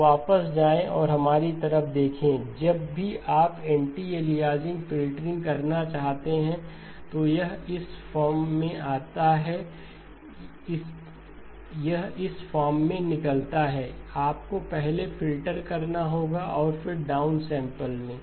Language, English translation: Hindi, Now go back and look at our, whenever you want to do anti aliasing filtering it comes out into this form right, it comes out into this form, you have to filter first and then down sample